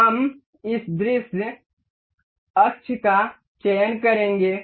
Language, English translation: Hindi, We will select this view axis